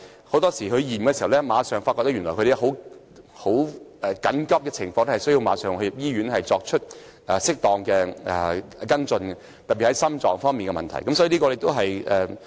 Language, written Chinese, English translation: Cantonese, 很多時候令我們吃驚的是，長者經檢查後發現情況緊急，需要立即入院作適當的跟進，特別是心藏方面的問題。, On many occasions we were surprised by the acute conditions found upon the check - ups of the elderly who needed immediate hospitalization for appropriate follow - up especially with regard to heart problems